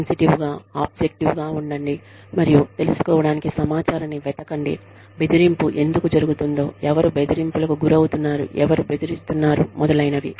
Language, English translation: Telugu, Be sensitive, objective, and seek information, to find out, where bullying is occurring, why bullying is occurring, who is being bullied, who is bullying, etcetera